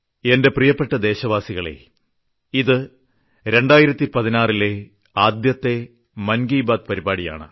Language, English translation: Malayalam, My dear countrymen, this is my first Mann Ki Baat of 2016